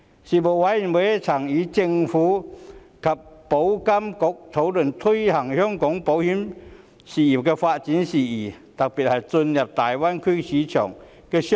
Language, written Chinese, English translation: Cantonese, 事務委員會曾與政府及保險業監管局討論推動香港保險業發展的事宜，特別是進入大灣區市場的措施。, The Panel discussed with the Administration and the Insurance Authority issues relating to promoting development of the insurance industry in Hong Kong and initiatives related to market access to the Greater Bay Area